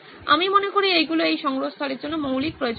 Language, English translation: Bengali, I think these are the basic requirements for this repository